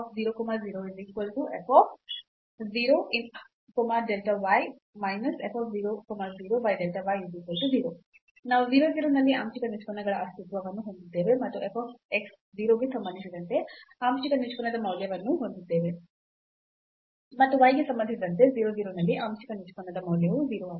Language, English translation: Kannada, So, we have the existence of the partial derivatives at 0 0, and the value of the partial derivative with respect to f x 0 and also the value of the partial derivative at 0 0 with respect to y is also 0